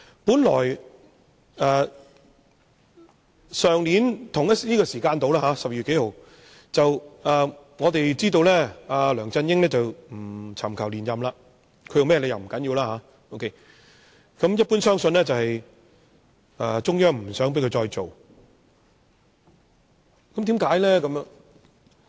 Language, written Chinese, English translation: Cantonese, 去年差不多這個時間，在12月某天，我們得悉梁振英不尋求連任特首，其原因已不重要，一般相信中央政府不想他繼續當特首，為甚麼？, At about this time last year on a certain day in December we were informed of LEUNG Chun - yings decision to not seek re - election as the Chief Executive for reasons that are no longer important . The general belief was that the Central Government did not want him to continue to hold the Chief Executive office . Why?